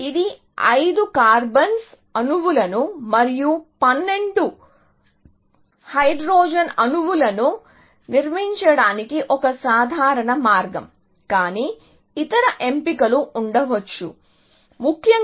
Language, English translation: Telugu, A simple way of organizing this 5 carbon atoms and 12 hydrogen atoms, but there could be other options, essentially